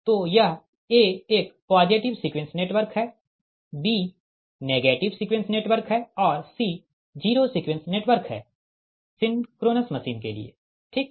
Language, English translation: Hindi, b is negative sequence network and c is zero sequence network for synchronous machine